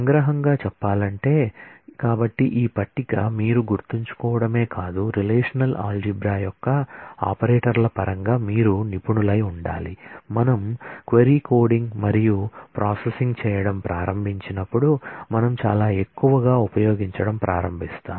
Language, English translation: Telugu, To summarize this is the, so this table is what you not only should remember, but you should become a expert of in terms of the operators of relational algebra which we will start using very heavily as we start doing the query coding and processing